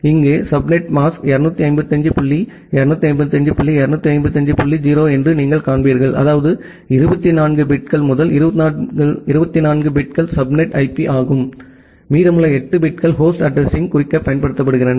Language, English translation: Tamil, And you will see that here the subnet mask is 255 dot 255 dot 255 dot 0 that means, that 24 bits the first 24 bits are the subnet IP; and the remaining 8 bits are used to denote the host address